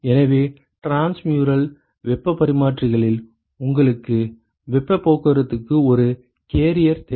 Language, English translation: Tamil, So, in transmural heat exchangers you need a carrier for heat transport